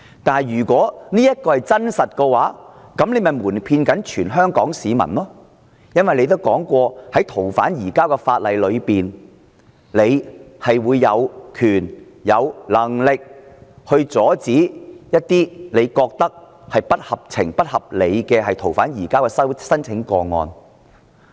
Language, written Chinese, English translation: Cantonese, 但是，如果這是真相，那麼她便是瞞騙全香港市民，因為她曾說，是次修訂逃犯移交法例，特首有權、有能力阻止她認為不合情、不合理的逃犯移交申請。, However if this is true then she is deceiving Hong Kong people because according to her remark under the current amendment to the ordinances on surrender of fugitive offenders the Chief Executive shall have the authority and ability to stop surrender applications that she regards unreasonable and unfair